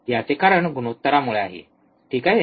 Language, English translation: Marathi, Because of the ratio, alright